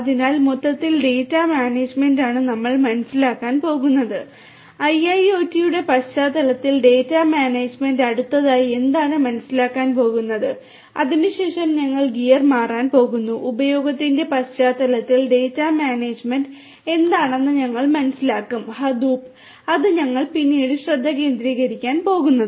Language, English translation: Malayalam, So, data management overall is what we are going to understand and data management in the context of IIoT is what are going to understand next and thereafter we are going to switch our gears and we will understand what is data management in the context of use of Hadoop, that is what we are going to focus on thereafter